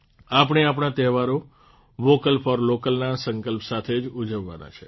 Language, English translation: Gujarati, We have to celebrate our festival with the resolve of 'Vocal for Local'